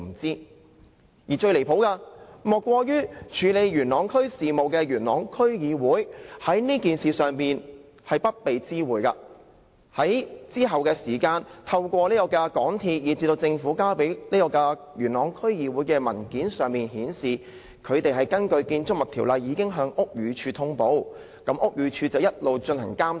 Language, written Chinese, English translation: Cantonese, 最離譜的，莫過於處理元朗區事務的區議會，在這件事上不被知會，而要在之後透過港鐵公司，以至政府向元朗區議會提交的文件，才知道港鐵公司已根據《建築物條例》向屋宇署通報，而屋宇署亦一直進行監察。, Worse still the Yuen Long District Council which handles affairs in the district was not informed of the incident not until much later in the papers MTRCL and the Government submitted to it . Only at that time did the Yuen Long District Council know that MTRCL had reported the incident to the Buildings Department pursuant to the Buildings Ordinance and the matter had been monitored by the Buildings Department